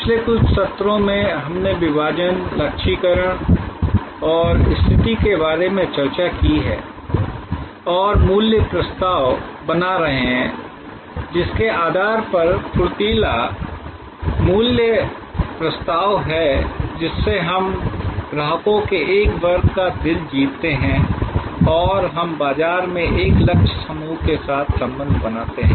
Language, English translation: Hindi, In the last couple of sessions, we have discussed about segmentation, targeting and positioning and creating the value proposition, crisp value proposition by virtue of which, we win the hearts of a segment of customers and we create relationship with a target group in the market